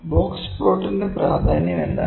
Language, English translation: Malayalam, So, what is the significance of box plot